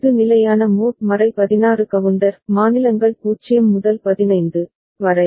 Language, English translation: Tamil, This is the standard mod 16 counter; states are 0 to 15